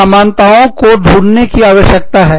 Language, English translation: Hindi, And, some commonalities, needs to be explored